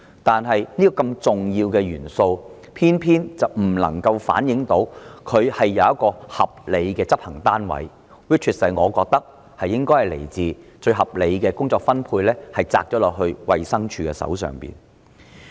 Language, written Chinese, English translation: Cantonese, 然而，這項如此重要的政策元素卻偏偏沒有一個合理的執行單位加以落實——依我之見，最合理的執行單位莫過於衞生署。, That said such an important policy element is not implemented by a reasonable executive arm―DH is the most reasonable executive arm in my opinion